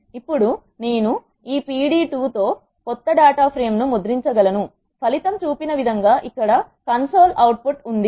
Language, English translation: Telugu, Now I can print the new data frame with this p d 2 the result is as shown in the console output here